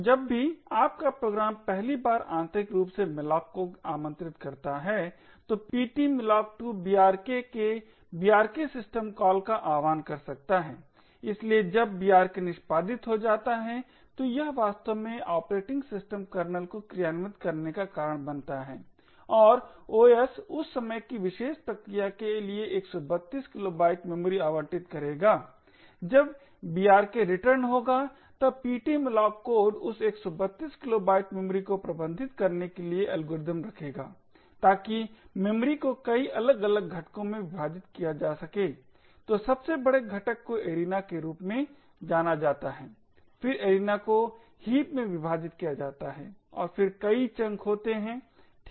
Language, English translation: Hindi, So whenever your program invokes malloc for the first time internally ptmalloc2 could invoke the brk system call of brk, so when brk gets executed it causes really operating systems kernel to execute and the OS would allocate 132 kilobytes of memory for that particular process when brk returns the ptmalloc code would then have algorithms to manage that 132 kilobytes of memory, so that memory is divided into multiple different components, so the largest component is known as the arena, the arena is then split into heaps and then there are many chunks, right